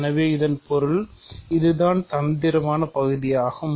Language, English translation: Tamil, So that means, there takes so, this is the tricky part of this